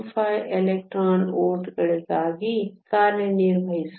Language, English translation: Kannada, 25 electron volts